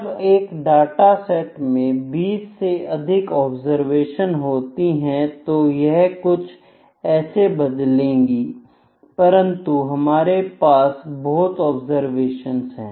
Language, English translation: Hindi, When a data set is having more than 20 observations typically so, it can be like this number can vary, but they are we have a number of observations